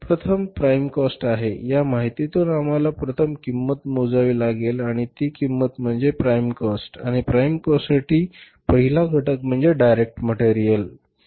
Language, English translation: Marathi, From this information we have to calculate the first cost and that cost is the prime cost and for the prime cost the first component is say that is the direct material